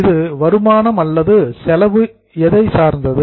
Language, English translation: Tamil, Is it an income or expense